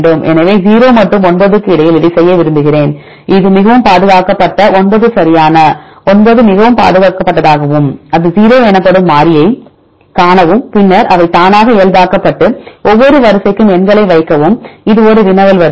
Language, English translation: Tamil, So, I want to do it between 0 and 9 if you see this highly conserved is 9 right 9 is highly conserved and to see the variable it is 0, then they automatically normalized and put the numbers for the each sequence this is the a query sequence